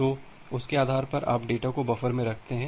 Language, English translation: Hindi, So, based on that, you put the data in the buffer